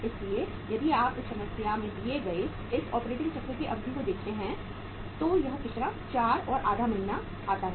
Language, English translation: Hindi, So if you look at the duration of this operating cycle given in this problem this works out as how much 4 and half months